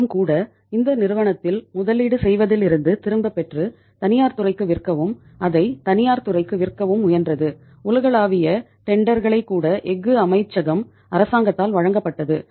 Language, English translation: Tamil, Even the government also tried to disinvest this company and to sell it to the private sector and to sell it to the private sector even the global tenders were given by the government by the Ministry of Steel